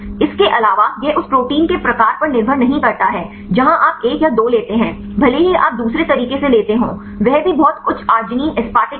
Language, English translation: Hindi, Also its does not depend on the type of the protein where take one or two even if you take the other way around that is also very high arginine aseptic acid